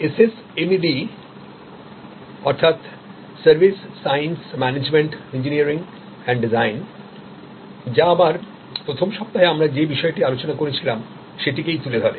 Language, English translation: Bengali, And SSMED stands for Service Science Management Engineering and Design, which again highlights the point that we had covered during the first week